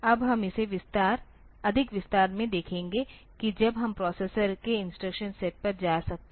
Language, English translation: Hindi, So, we will see that in more detail the actual instruction when we can go to the instruction set of the processor